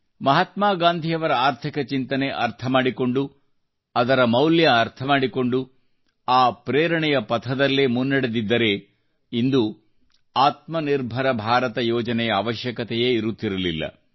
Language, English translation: Kannada, The economic principles of Mahatma Gandhi, if we would have been able to understand their spirit, grasp it and practically implement them, then the Aatmanirbhar Bharat Abhiyaan would not have been needed today